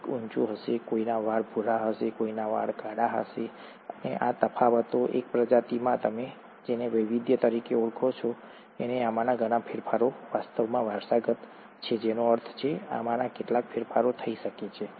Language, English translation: Gujarati, Somebody will be taller, somebody would have brown hair, somebody would have black hair, and these differences, within the same species is what you call as variations, and many of these changes are actually heritable, which means, some of these changes can be passed on from the parents to the offspring